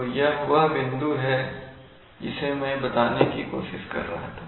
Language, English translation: Hindi, So this is the point that I was trying to make